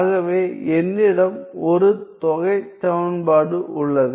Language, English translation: Tamil, So, I have an integral equation an integral equation